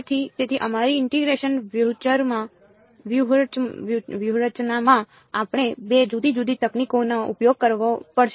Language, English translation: Gujarati, So, therefore, in our integration strategy we have to use 2 different techniques